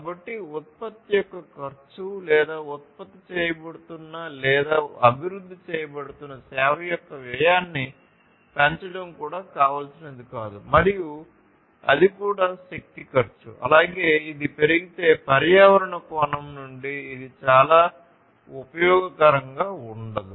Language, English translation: Telugu, So, what is also not desirable is to increase the cost of the product or the service that is being generated or being developed and also it is also the cost of energy, if it increases it is not very useful from the environment point of view as well